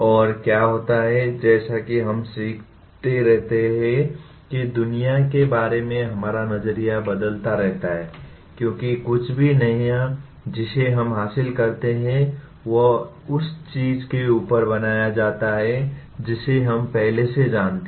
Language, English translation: Hindi, And what happens, as we keep learning our view of the world keeps changing because we are anything new that we acquire is built on top of what we already know